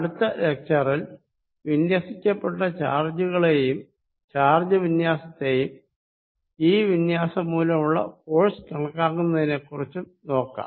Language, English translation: Malayalam, What we are going to do in the next lecture is consider distributed charges, distribution of charges and calculate force due to this distribution